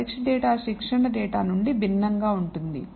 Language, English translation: Telugu, This test data is different from the training data